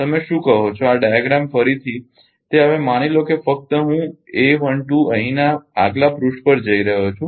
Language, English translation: Gujarati, What you call this diagram once again now suppose here only I a 1 2 ah ah going to the next page here